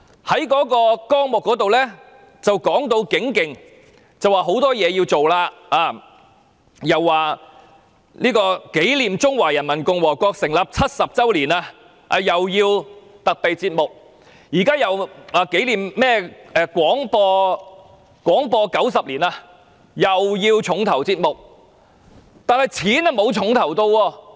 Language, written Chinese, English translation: Cantonese, 有關文件說大有可為，要做很多事情，既要為紀念中華人民共和國成立70周年製作特備節目，又要為紀念香港廣播90周年製作重頭節目，但撥款卻沒有"重頭"。, It is said in the relevant paper that much will be achieved and many things will be done . On the one hand RTHK has to produce special programmes on commemorating the 70 Anniversary of the Founding of the Peoples Republic of China and on the other it has to produce weighty programmes to commemorate 90 Years of Broadcasting in Hong Kong . Yet the provision provided is not weighty